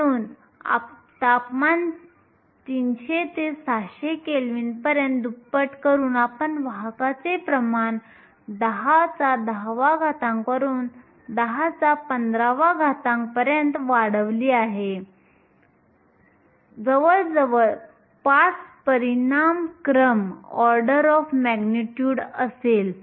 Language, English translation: Marathi, So, by doubling the temperature from 300 to 600 kelvin, you have increased the carrier concentration from 10 to the 10 to 10 to the 15, nearly 5 orders of magnitude